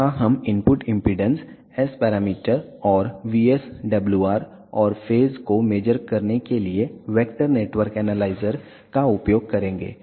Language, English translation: Hindi, Here we will be using vector network analyzer to measure input impedance, S parameter, and VSWR, and phase